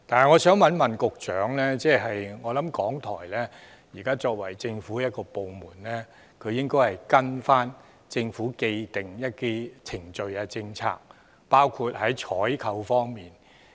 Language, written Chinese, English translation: Cantonese, 我相信港台作為政府部門，應該依循政府既定的程序及政策，包括在採購方面。, I believe that RTHK as a government department should follow the established procedures and policies of the Government including those in the area of procurement